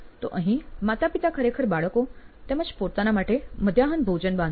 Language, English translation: Gujarati, So here, mom and dad actually pack lunch for kids and themselves